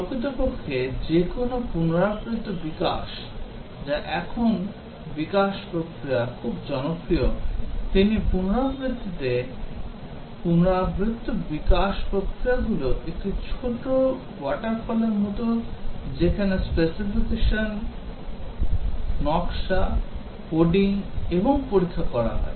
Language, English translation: Bengali, Actually any iterative development which are the development processes now very popular, the iterative development processes in every iteration is like a small water fall where specification, design, coding and testing is carried out